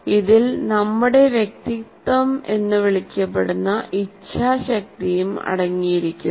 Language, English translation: Malayalam, It also contains our so called self will area which may be called as our personality